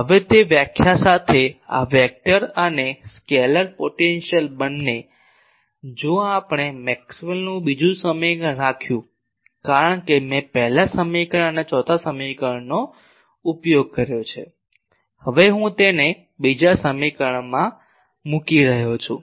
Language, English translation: Gujarati, Now, with that definition both these vector and scalar potential; if we put to Maxwell second equation because I have already used first equation and fourth equation; I am now putting it to the second equation